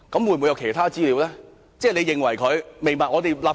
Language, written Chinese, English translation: Cantonese, 會否有其他資料曾遭挪用呢？, Has any other information been used illegally?